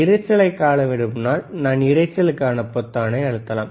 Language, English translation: Tamil, If want to see noise, then I can press noise